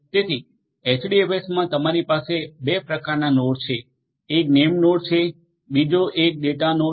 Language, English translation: Gujarati, So, in HDFS you have 2 types of nodes, one is the name node, the other one is the data node